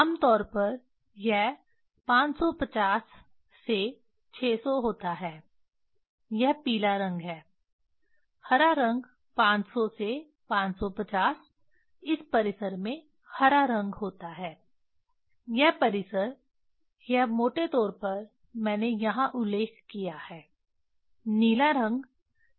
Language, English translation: Hindi, Generally it is the 550 to 600, it is a yellow color, green color 500 to 550 in that range green color this range is not it is a roughly I mentioned here, blue color 450 to 500